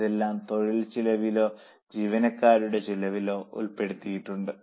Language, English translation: Malayalam, All this is included in the labour cost or employee cost